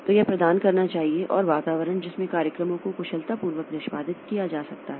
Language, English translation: Hindi, So it must provide an environment in which programs can be executed efficiently and it can be executed, they can be executed easily